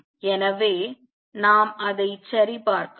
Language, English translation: Tamil, So, let us check that